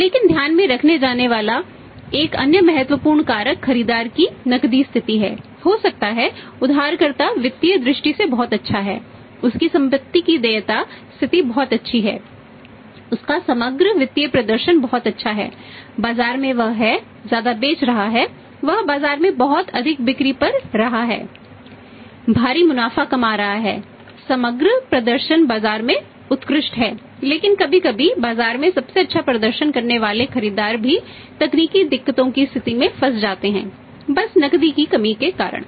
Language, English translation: Hindi, But another important factor to be taken into account is the liquidity position of the buyer or the other borrow his a very good in financial terms is very good his asset liability position is very good his overall financial performance is very good his selling too much in the market he is making a lot of sales in the market is having huge profits is overall performance is excellent in the market but sometime even the best performing buyers are the players in the market are caught into a situation of the technical insolvency and simply because of the lack of liquidity